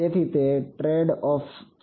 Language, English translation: Gujarati, So, those are the tradeoffs